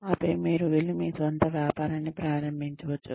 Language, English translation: Telugu, And then, you can go and start your own business